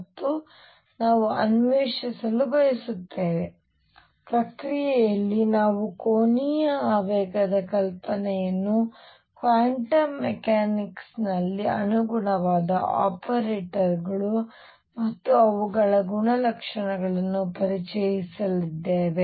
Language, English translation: Kannada, And we want to explore that in the process we are also going to introduce the idea of angular momentum in quantum mechanics the corresponding, the corresponding operators and their properties